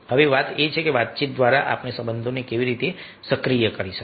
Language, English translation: Gujarati, now the thing is that how, through communication, we can activate relationship